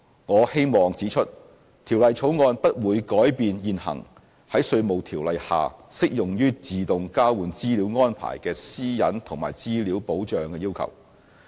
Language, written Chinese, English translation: Cantonese, 我希望指出，《條例草案》不會改變現行在《稅務條例》下適用於自動交換資料安排的私隱及資料保障要求。, I would like to point out that the Bill does not alter the existing privacy and data protection requirements applicable to AEOI under the Inland Revenue Ordinance